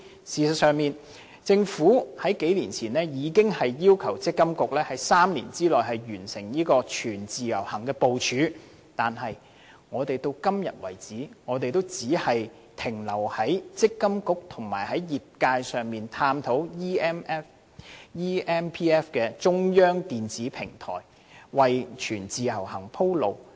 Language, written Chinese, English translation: Cantonese, 事實上，政府數年前已要求積金局在3年內完成全自由行的部署，但至今我們仍只停留在與積金局和業界探討建立 eMPF 的中央電子平台，為全自由行鋪路。, As a matter of fact a few years ago the Government asked MPFA to complete mapping out the implementation of full portability within a period of three years . However to date we still remain at the stage of examining the issue with MPFA and the industry of putting in place an eMPF a centralized electronic platform so as to pave the way for full portability